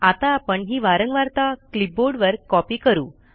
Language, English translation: Marathi, I am going to copy the frequency on to the clipboard